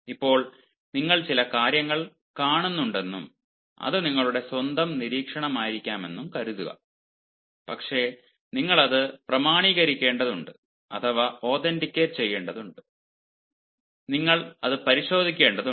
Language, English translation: Malayalam, now suppose you come across certain things and that maybe your own observation, but then you actually need to authenticate it, you need to verify it